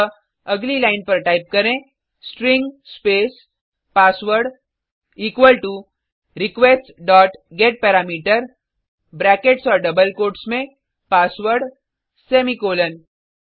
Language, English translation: Hindi, So on the next line, type, String space password equal to request dot getParameter within brackets and double quotes password semicolon